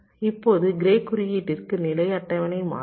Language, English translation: Tamil, now for grey code, the state table will change